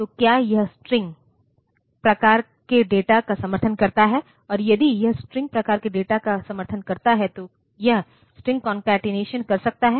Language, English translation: Hindi, So, does it support string type data and if it supports string type data can it do string concatenation